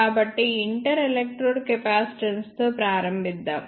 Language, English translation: Telugu, So, let us start with inter electrode capacitance